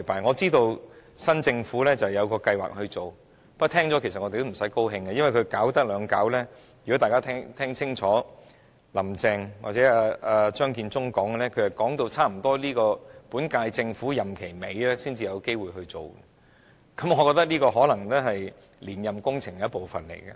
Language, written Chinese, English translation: Cantonese, 我知道新政府有計劃檢討，不過我們聽到也不要感到高興，因為檢討需時，如果大家聽清楚"林鄭"或張建宗的談話，便知道是差不多要到本屆政府任期末段才有機會實行，我覺得這可能是連任工程的一部分工作。, We know that the new Government plans to review this but we must not be delighted on hearing that because a review takes time . If Members have listened carefully to the comments made by Carrie LAM or Matthew CHEUNG they will find that the likelihood of implementation will arise only when the term of this Government is coming to an end . I think this may be part of the plan to seek re - election